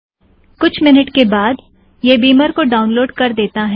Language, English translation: Hindi, It took a few minutes and downloaded Beamer